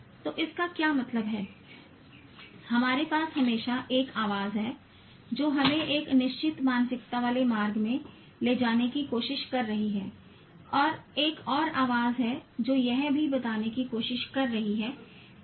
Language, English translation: Hindi, We always have a voice that's trying to tell, take us in a fixed mindset route and there is another voice that's also trying to tell